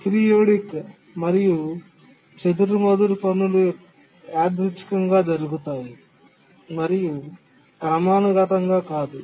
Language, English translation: Telugu, The aperidic and sporadic tasks, they don't occur periodically